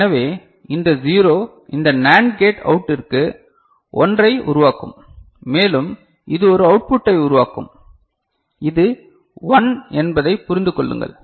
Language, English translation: Tamil, So, this 0 will generate for this NAND gate output a 1 and it will generate a output this is 1 please understand